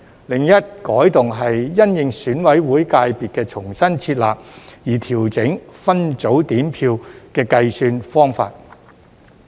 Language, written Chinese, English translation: Cantonese, 另一改動是因應選舉委員會界別的重新設立而調整分組點票的計算方法。, Another change is to adjust the counting method for split voting consequential to the re - establishment of the Election Committee sector